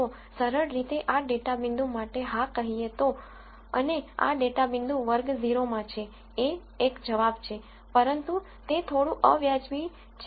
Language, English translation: Gujarati, So, simply saying yes this data point and, this data point belongs to class 0 is 1 answer, but that is pretty crude